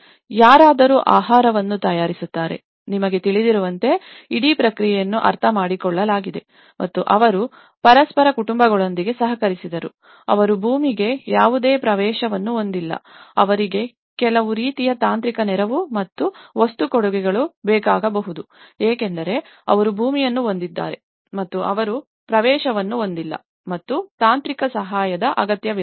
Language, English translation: Kannada, Someone preparing the food, you know in that way, the whole process has been understood and they cooperated with each other and families, who did not have any access to land and they required some kind of only technical assistance and material contributions because may that they have a land and also they don’t have an access and also required technical assistance